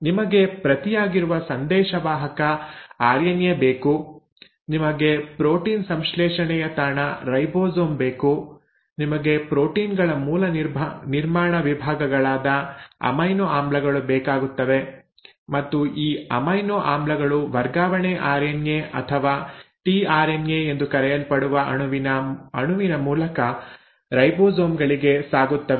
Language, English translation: Kannada, Now that is what are the ingredients, you need the messenger RNA which is the script, you need the site of protein synthesis which is the ribosome, you need the basic building blocks of proteins which are the amino acids and these amino acids are ferried to the ribosomes by a molecule called as transfer RNA or tRNA